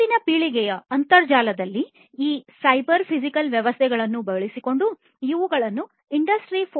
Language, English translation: Kannada, These will be supported using these cyber physical systems in the next generation internet the Industry 4